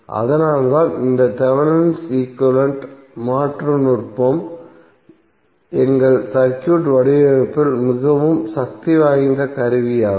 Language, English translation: Tamil, So that is why this Thevenin equivalent replacement technique is very powerful tool in our circuit design